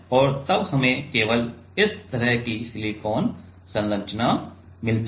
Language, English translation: Hindi, And then we get only the silicon structure like this